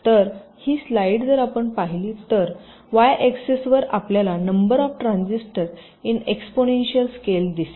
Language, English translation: Marathi, so this light, if you see so, on the y axis you see the number of transistors in an exponential scale